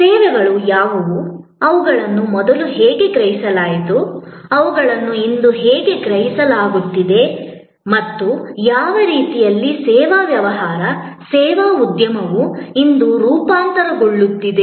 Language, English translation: Kannada, What are services, how they were perceived earlier, how they are being perceived today and in what way service business, service industry is transforming today